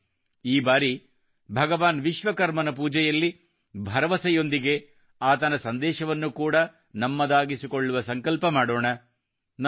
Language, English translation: Kannada, Come, this time let us take a pledge to follow the message of Bhagwan Vishwakarma along with faith in his worship